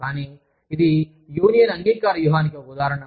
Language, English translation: Telugu, But, this is an example, of a union acceptance strategy